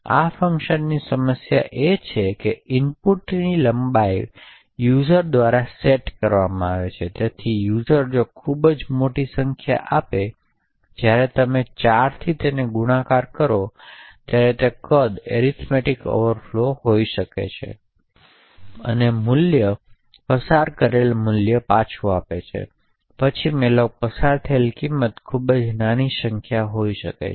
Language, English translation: Gujarati, The problem with this function is that the input length is set by the user or rather by the user who is actually invoking this function, so therefore the user could actually give a very large number for len such that when you multiply len by size of int which is typically 4 bytes then there could be an arithmetic overflow and the value returned the value passed and then the value passed to malloc could be a very small number